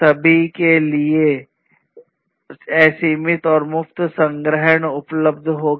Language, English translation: Hindi, There would be unlimited and free storage available to everyone